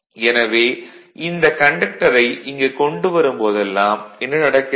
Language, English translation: Tamil, Whenever bringing this conductor here, then what is happening